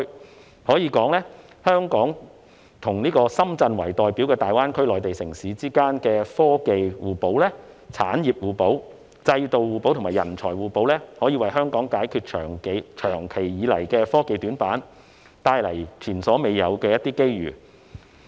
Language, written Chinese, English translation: Cantonese, 我可以說，香港和以深圳為代表的大灣區內地城市之間的科技互補、產業互補、制度互補和人才互補，可以為香港解決長期以來的科技短板，帶來前所未有的機遇。, I dare say our complementarities with Shenzhen which is representative of the Mainland cities in GBA in terms of technology industries institutions and professional talents can provide the solution to our long - existing weaknesses in technology and bring unprecedented opportunities